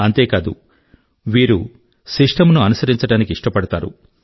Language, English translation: Telugu, Not just that, they prefer to follow the system